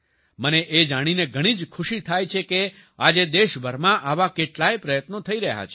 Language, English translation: Gujarati, It gives me great pleasure to see that many such efforts are being made across the country today